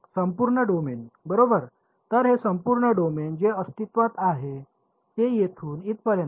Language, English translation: Marathi, The entire domain right; so, this entire domain which is existing all the way from let us say here to here